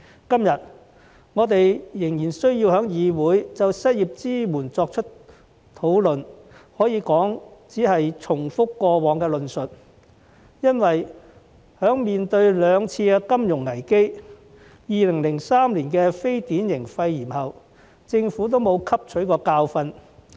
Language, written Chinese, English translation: Cantonese, 今天，我們仍然需要在議會就失業支援作出討論，可以說只是重複過往的論述，因為在面對兩次金融危機及2003年的非典型肺炎疫情後，政府並無汲取教訓。, The discussion on unemployment support that we still need to conduct in the Council today can be regarded as a mere repetition of past arguments because after encountering the two financial crises and the 2003 atypical pneumonia epidemic the Government still did not learn a lesson